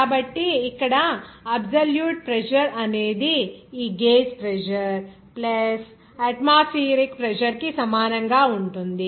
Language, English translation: Telugu, So, here absolute pressure will be equal to this gauge pressure plus atmospheric pressure